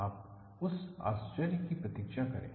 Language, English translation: Hindi, You wait for that surprise